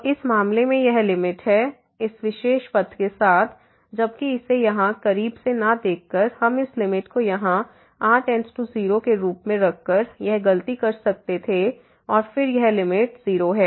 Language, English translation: Hindi, So, this is the limit in this case, along this particular path while by not closely looking at this here we could have done this mistake by putting taking this limit here as goes to 0 and then this limit is 0